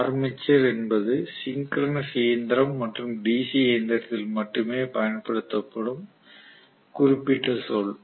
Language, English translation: Tamil, By the way armature is the specific term used only in synchronous machine and DC machine